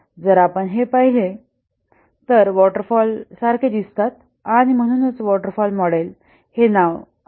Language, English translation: Marathi, If we look at it looks like a waterfall, a series of waterfall